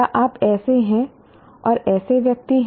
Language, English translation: Hindi, Are you a such and such a person